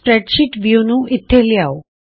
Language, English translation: Punjabi, lets move the spreadsheet view here